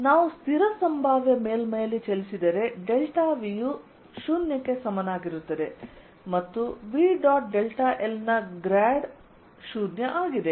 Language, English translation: Kannada, if we move along the constant potential surface, delta v is equal to zero and grad of v dot delta l is zero